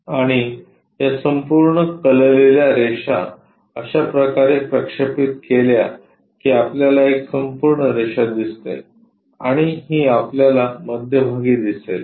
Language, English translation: Marathi, And this entire inclined lines projected in such a way that we see a line this entire thing, and this one we will see at middle